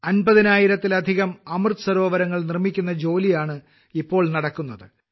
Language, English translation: Malayalam, Presently, the work of building more than 50 thousand Amrit Sarovars is going on